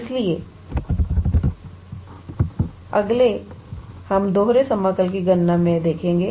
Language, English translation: Hindi, So, next, we will look into calculation of double integral